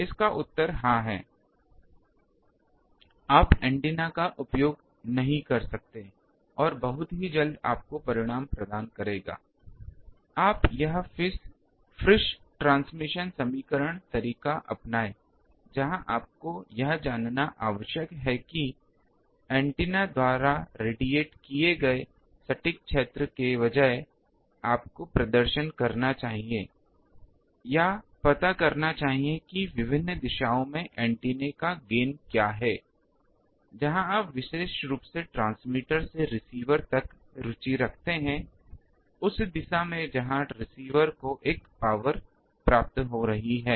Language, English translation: Hindi, The answer is yes, you can approximately use the antenna and the results soon very much provided you take this approach Friis transmission equation where you need to know that instead of the exact field of radiated by antenna you should perform, or find out what is the gain of the antenna in various directions where you are interested particularly in the from the transmitter to the receiver the direction in where the receiver is receiving a thing power